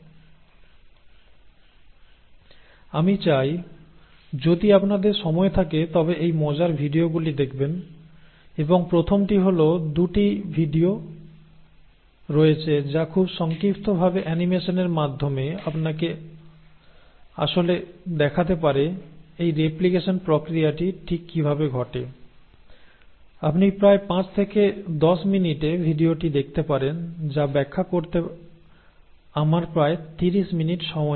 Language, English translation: Bengali, Now, I would like you to, if you have time, to go through some of these fun videos and the first one is, there are 2 videos which very briefly in animation actually show to you exactly how this process of replication takes place, what has taken me about 30 minutes to explain you can see it in about 5 to 10 minutes video